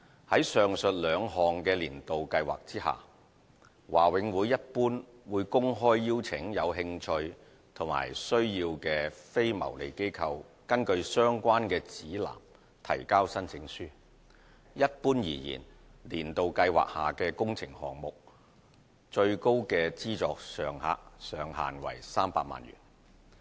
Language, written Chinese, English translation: Cantonese, 在上述兩項"年度計劃"下，華永會一般會公開邀請有興趣和需要的非牟利機構根據相關的指南提交申請書。一般而言，"年度計劃"下的工程項目的最高資助上限為300萬元。, In general BMCPC openly invites interested and needy non - profit - making organizations to submit applications according to the respective guides of the two annual schemes under which the donation ceiling for each works project is usually set at 3 million